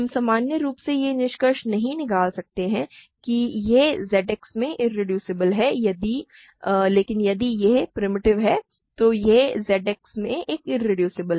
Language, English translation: Hindi, We cannot conclude in general that it is irreducible in Z X, but if it is primitive, it is a irreducible in Z X